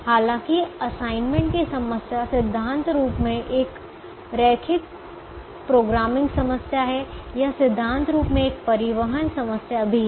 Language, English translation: Hindi, even though the assignments problem is in principle a linear programming problem, it is also in principle a transportation problem